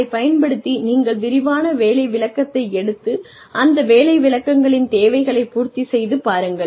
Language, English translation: Tamil, Using, then you take detailed job description, and try and cater to the needs, of these job descriptions